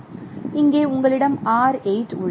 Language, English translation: Tamil, So here you have R8